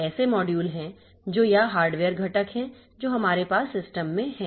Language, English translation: Hindi, The modules that are or the hardware components that we have in the system